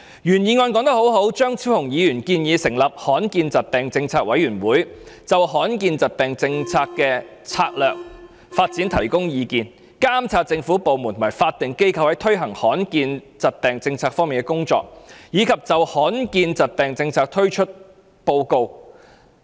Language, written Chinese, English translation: Cantonese, 原議案說得很好，張超雄議員建議成立罕見疾病政策委員會，就罕見疾病政策的策略性發展方向提供建議、監察政府部門及法定機構在推行罕見疾病政策方面的工作，以及就罕見疾病政策的推行作出報告等。, A good point in the original motion is that Dr Fernando CHEUNG proposes the establishment of a policy committee on rare diseases to advise on a strategic development direction for a policy on rare diseases monitor the implementation of the policy on rare diseases by government departments and statutory bodies report on the implementation of the policy on rare diseases etc